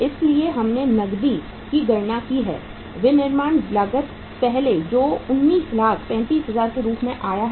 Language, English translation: Hindi, So we have calculated the cash manufacturing cost first which works out as 19,35,000